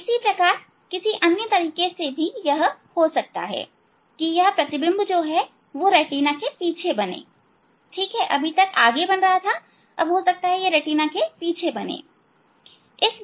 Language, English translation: Hindi, Similarly, other way also it may happen that this it focused this image is formed beyond the retina, ok, at this point